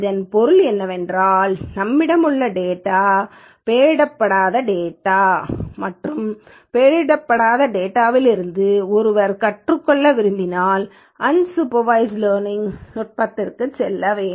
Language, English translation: Tamil, This means the data what we have is an unlabeled data and when one wants to learn from this unlabeled data, one has to go for unsupervised learning techniques